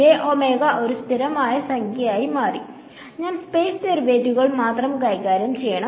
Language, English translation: Malayalam, It is just become a constant number j omega so; I have to deal only with the space derivatives